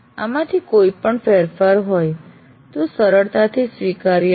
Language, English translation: Gujarati, So any deviation from this is not easily acceptable